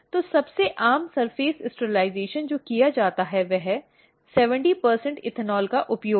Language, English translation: Hindi, So, the most common surface sterilization which is done is using 70 percent ethanol